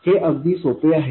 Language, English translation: Marathi, It is very, very simple